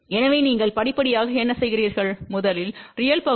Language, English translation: Tamil, So, what you do step by step thing, first look at the real part which is 0